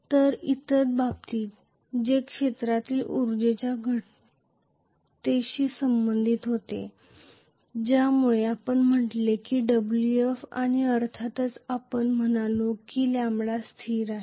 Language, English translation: Marathi, So, in the other case which was corresponding to the reduction in the field energy because of which we said minus Wf and of course we said lambda is constant